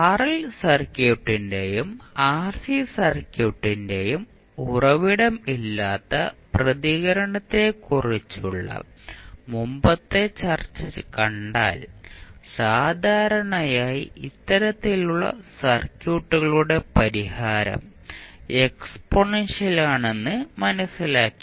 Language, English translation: Malayalam, Now, if you see that the previous discussion what we did when we discussed about the source free response of rl circuit and rc circuit we came to know that typically the solution of these kind of circuits is exponential